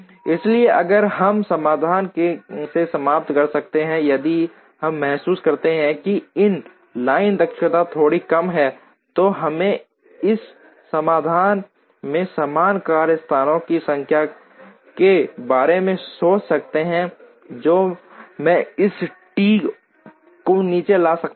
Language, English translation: Hindi, So, we could if we end up from the solution if we realize, that the line efficiency is slightly lower, then we could think in terms of for the same number of workstations that I have in this solution, can I bring down this T by 1 and get a better line efficiency